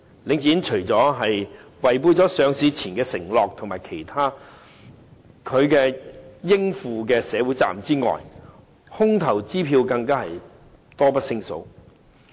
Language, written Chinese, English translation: Cantonese, 領展除了違背上市前的承諾及其應負的社會責任之外，空頭支票更是多不勝數。, Apart from going back on its promises made before listing and failing to fulfil social responsibilities required of it Link REIT has even issued countless dishonoured cheques